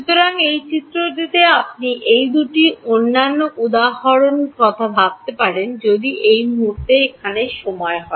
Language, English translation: Bengali, So, in this figure you can think of these other two instances if this is time over here right